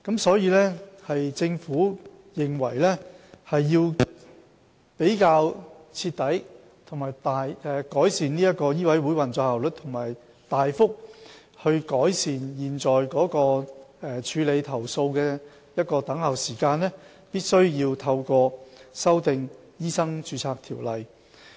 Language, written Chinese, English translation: Cantonese, 所以，政府認為若要徹底改善醫委會的運作效率，並大幅改善現時處理投訴的等候時間，便必須修訂《醫生註冊條例》。, Hence the Government considers it necessary to amend MRO in order to thoroughly improve the operational efficiency of MCHK and substantially improve the current waiting time for handling complaints